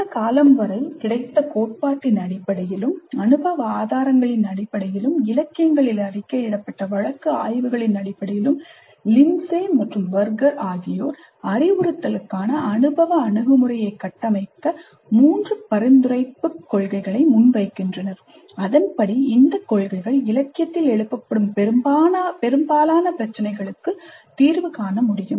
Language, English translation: Tamil, Based on the theory that was available up to that point of time and based on the empirical evidence that was available to that time, based on the case studies reported in the literature of the time, Lindsay and Berger present three prescriptive principles to structure the experiential approach to instruction and according to them these principles can address most of the concerns raised in the literature